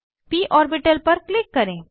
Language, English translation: Hindi, Click on the p orbital